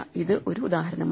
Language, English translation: Malayalam, So here is another example